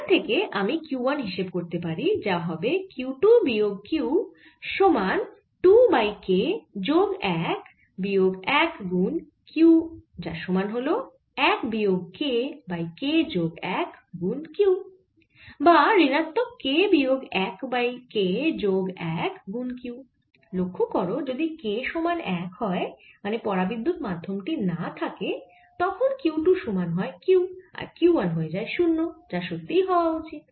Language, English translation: Bengali, this gives me q two, k plus one is equal to two q, or q two is equal to two over k plus one q, and from this i can calculate q one, which is going to be equal to q two minus q, which is two over k plus one minus one q, which is equal to one minus k over k plus one q, or minus k minus one over k plus one q